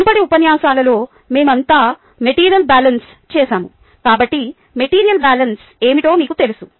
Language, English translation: Telugu, we all done material balance in the previous lectures, so you know what material balance is